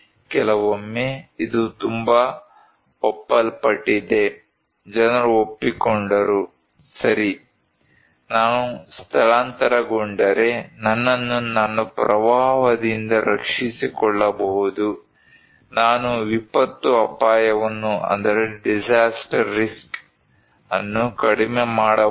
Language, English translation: Kannada, Sometimes, it is very agreed, people agreed that okay, if I evacuate I can protect myself from flood, I can mitigate, reduce the disaster risk